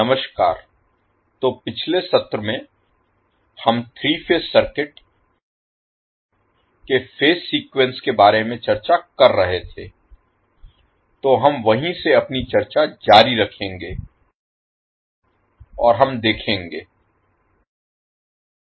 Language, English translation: Hindi, Namaskar, so in the last session we were discussing about the phase sequence of three phase circuit, so we will continue our discussion from that point onwards and let us see